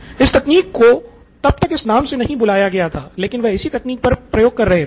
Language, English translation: Hindi, It was not called that back then but that was the phenomena that he was experimenting with